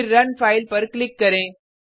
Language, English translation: Hindi, Then, Click on Run File